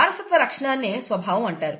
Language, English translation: Telugu, Heritable feature is called the character